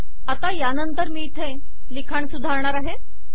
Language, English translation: Marathi, Then, now I am going to improve the writing here